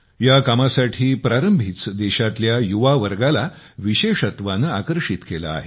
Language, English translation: Marathi, This beginning has especially attracted the youth of our country